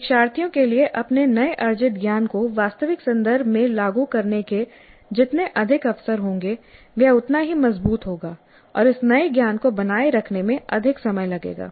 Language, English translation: Hindi, The more the opportunities for the learners to apply their newly acquired knowledge in real contexts that are relevant to them, the stronger will be the learning and the longer will be the retaining of this new knowledge